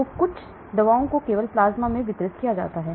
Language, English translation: Hindi, So some drugs will get distributed only in the plasma